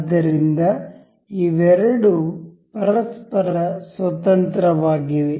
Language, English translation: Kannada, So, both of these are independent of each other